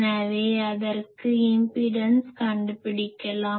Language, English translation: Tamil, So, we can find a impedance for that